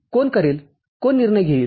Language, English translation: Marathi, Who will do, who will make the decision